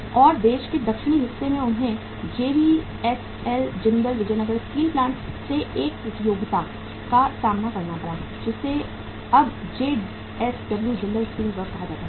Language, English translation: Hindi, And in the southern part of the country they had to face a competition from the JVSL Jindal Vijayanagar Steel Plant which is now called as JSW Jindal Steel Works